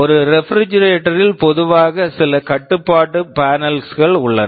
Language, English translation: Tamil, You think of a refrigerator there normally there are some control panels